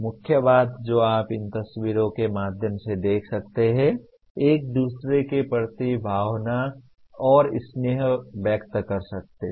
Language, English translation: Hindi, The main thing that you can see through these pictures is expressing and demonstrating emotion and affection towards each other